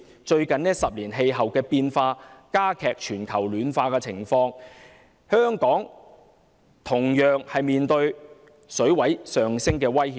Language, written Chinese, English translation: Cantonese, 最近10年的氣候變化已令全球暖化的情況加劇，香港同樣面對海水水位上升的威脅。, In the past decade climate change has accelerated global warming and Hong Kong also faces the threat of rising sea level